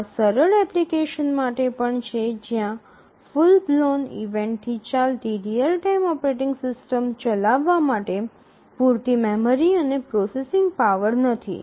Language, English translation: Gujarati, These are also meant for simple applications where there is not enough memory and processing power to run a full blown event driven real time operating system